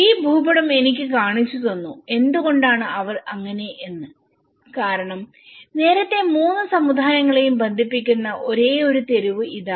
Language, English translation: Malayalam, This map, have shown me why they are not because earlier, this is the only street which was connecting all the three communities